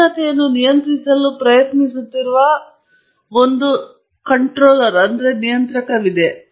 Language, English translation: Kannada, There is a controller there trying to control the temperature and so on